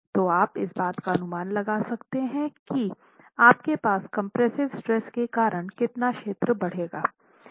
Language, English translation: Hindi, So you can make an estimate over how much area would you see an increase in the compressive stress